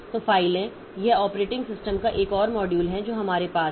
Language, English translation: Hindi, So, files, this is another module of the operating system that we have